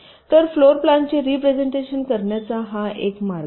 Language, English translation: Marathi, so this is one way of representing, ok, a floorplan